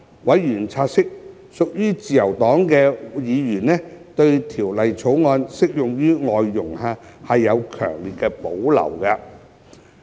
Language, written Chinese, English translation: Cantonese, 委員察悉，屬自由黨的議員對《條例草案》適用於外傭有強烈保留。, Members noted that members belonging to the Liberal Party had strong reservations about the applicability of the Bill to FDHs